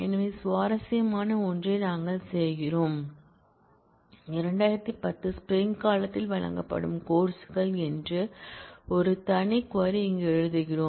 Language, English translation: Tamil, So, we do something interesting what I do is, we write a separate query here which is courses that are offered in spring 2010